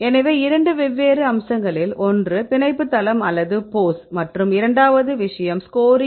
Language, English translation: Tamil, So, two different aspects one is the binding site or the pose, and the second thing is the scoring